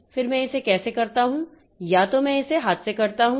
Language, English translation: Hindi, Either I do it by hand